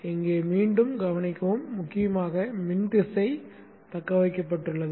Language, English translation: Tamil, Note again here importantly that the current direction has been retained